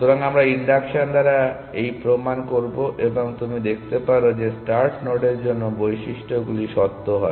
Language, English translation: Bengali, So, we will do this proof by induction, and you can see that for the start node does properties true